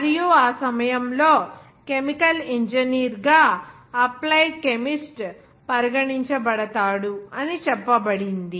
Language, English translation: Telugu, And at that time, it was said that an applied chemist who can be regarded as a chemical engineer